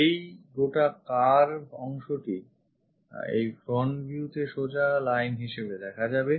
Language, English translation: Bengali, This entire curve will turns turns out to be a straight line on this front view